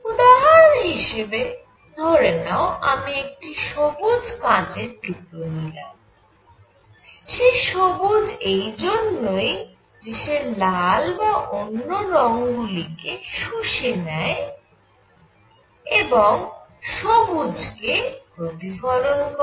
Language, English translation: Bengali, For example, suppose I take a green piece of glass, it is green because it absorbs the red and other colors and reflects green